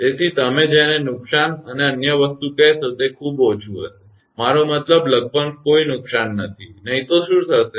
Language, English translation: Gujarati, So, what you call the damage and other thing will be very very; less I mean almost no damage; otherwise what will happen